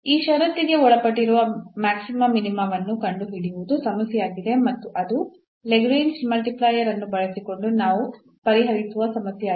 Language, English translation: Kannada, So, the problem is to find the maxima minima subject to this condition and that is the problem which we will solve using the Lagrange multiplier